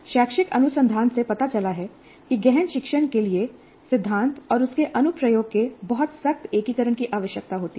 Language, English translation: Hindi, And the educational research has shown that deep learning requires very tight integration of theory and its application